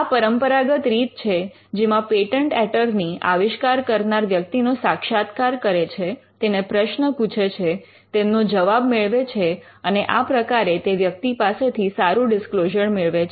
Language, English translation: Gujarati, This is the traditional way in which the patent attorney interviews the inventor asks a series of questions, gets replies to the questions and eventually will be able to get a good disclosure from the inventor through the interview